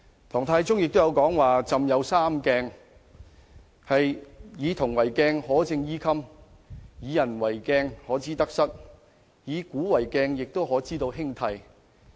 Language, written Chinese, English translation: Cantonese, 唐太宗曾說自己有"三鏡"："夫以銅為鏡，可以正衣冠；以古為鏡，可以知興替；以人為鏡，可以明得失。, Tang Taizong once said he had three mirrors . Using bronze as a mirror one can straighten his hat and clothes; using history as a mirror one can know the rise and fall of dynasties; using people as a mirror one can know his own right and wrong